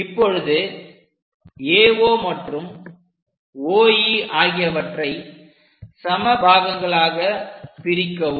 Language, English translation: Tamil, Then divide AO and AE into same number of points